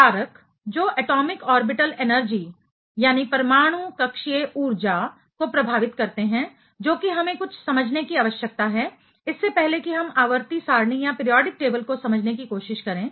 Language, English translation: Hindi, The factors, that affects the Atomic Orbital Energies that is something we need to quite understand, before we try to understand the periodic table